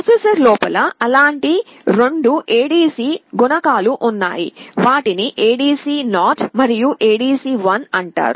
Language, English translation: Telugu, Inside the processor there are two such ADC modules, they are called ADC0 and ADC1